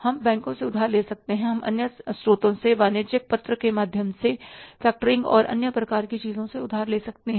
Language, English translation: Hindi, We can borrow from banks, we can borrow from the other sources by way of commercial paper, by way of the factoring and other kind of things